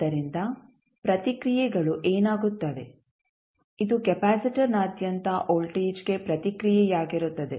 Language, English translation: Kannada, So, what will happen the responses this would be the response for voltage at across capacitor